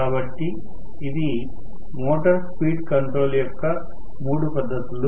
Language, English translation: Telugu, So, these are the 3 methods of DC motor speed control